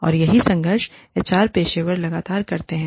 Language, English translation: Hindi, And, that is what, HR professionals, constantly struggle with